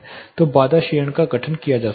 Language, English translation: Hindi, So, barrier attenuation can be formed